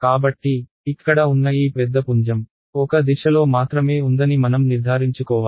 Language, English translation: Telugu, So, I have to make sure that this like this big beam over here is only in one direction not in the other direction